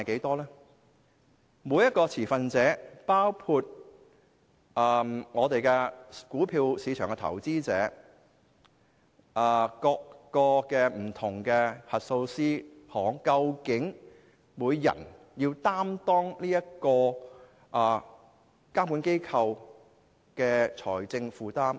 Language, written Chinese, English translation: Cantonese, 至於每一個持份者，包括股票市場的投資者、不同的核數師行，究竟要分攤這個監管機構多少財政負擔？, What is the share of the regulatory bodys financial burden that stakeholders including stock market investors and different auditors have to bear?